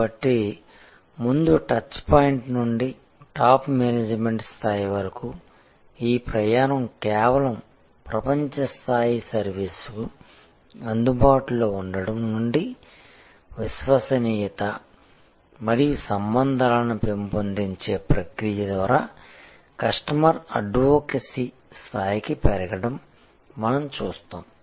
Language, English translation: Telugu, So, right from the front touch point to the top management level, we see therefore, this journey from just being available for service to the world class service, growing through the process of loyalty and relationship building to the level of customer advocacy